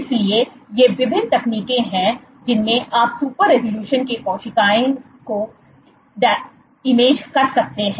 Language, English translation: Hindi, So, these are various techniques where in you can image super resolution you can image cells in super resolution ok